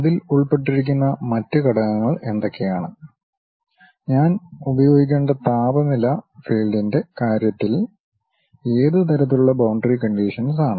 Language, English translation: Malayalam, And what are the other components involved on that, what kind of boundary conditions in terms of temperature field I have to apply